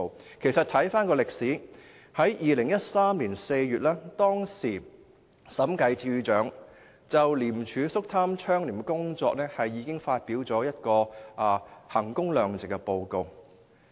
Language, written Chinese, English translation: Cantonese, 回看歷史，審計署署長在2013年4月就廉署肅貪倡廉的工作發表了一份衡工量值式的審計報告。, Let us look back at history . In April 2013 the Director of Audit issued a value - for - money audit report on ICACs anti - corruption efforts